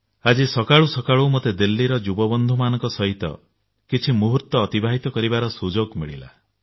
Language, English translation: Odia, Early this morning, I had an opportunity to spend some time with some young people from Delhi